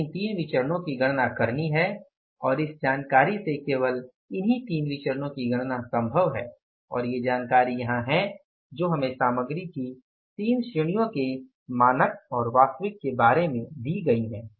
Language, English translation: Hindi, We have to calculate these three variances and they are, means, only three variances which are possible to be calculated from this information and here are these information which is given to us about the standards and about the actuals